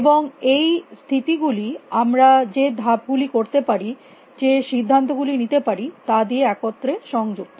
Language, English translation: Bengali, And the states are connected together by the moves you can make of the decisions we can make